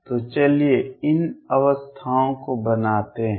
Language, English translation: Hindi, So, let us make these states